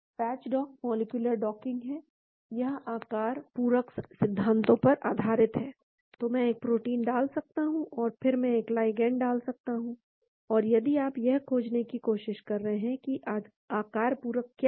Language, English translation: Hindi, Patch dock is molecular docking, it is based on shape, complementarity principles, so I can put a protein and then I can put a ligand and if you try to find what is the shape complementarity